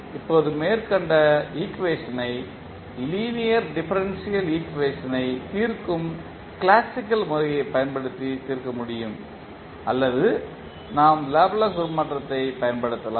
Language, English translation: Tamil, Now, the above equation can be solved using either the classical method of solving the linear differential equation or we can utilize the Laplace transform